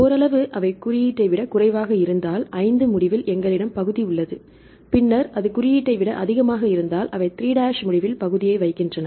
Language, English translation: Tamil, Then if you partial one they put the less than symbol right we have partial at the 5’ end then if it is greater than symbol they put partial at the 3’ end